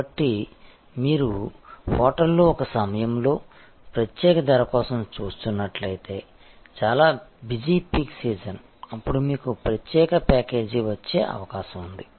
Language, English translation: Telugu, So, if you are looking for a special price at a time on the hotel is very busy peek season, then it is a not likely that you will get a special package